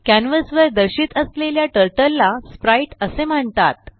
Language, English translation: Marathi, Turtle displayed on the canvas is called sprite